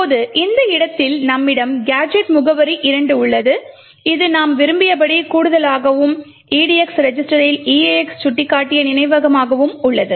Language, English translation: Tamil, Now at this location we have gadget address 2 which does the addition as we want and as the memory pointed to by edx to the eax register now the push instruction would push the contents of the edi into the stack